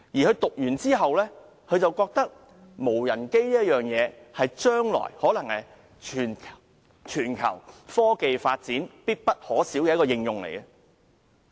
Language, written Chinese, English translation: Cantonese, 畢業後，他覺得無人機在將來可能是全球科技發展必不可少的應用產品。, After graduation he thought that drones might be an application product indispensable to global technological development in the future